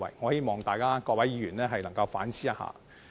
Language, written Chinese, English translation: Cantonese, 我希望各位議員能夠反思。, I hope Members can rethink about that